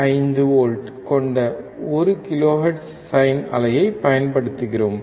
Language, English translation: Tamil, 5 volts 1 kilohertz, what will be the output